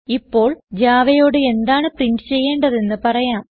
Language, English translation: Malayalam, Now let us tell Java, what to print